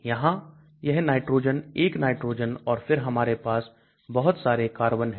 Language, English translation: Hindi, Here this nitrogen nitrogen 1 and then we have lots of carbon